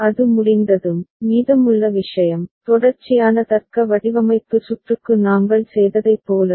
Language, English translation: Tamil, Once it is done, rest of the thing is as we had done for sequential logic design circuit ok